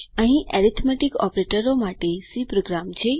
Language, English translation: Gujarati, Here is the C program for arithmetic operators